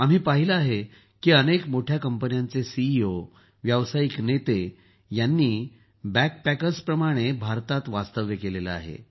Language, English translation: Marathi, We have seen that CEOs, Business leaders of many big companies have spent time in India as BackPackers